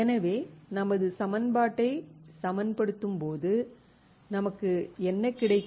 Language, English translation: Tamil, So, when I balance my equation what will I have